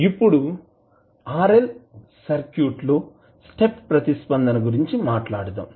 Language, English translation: Telugu, Now, let us talk about step response for a RL circuit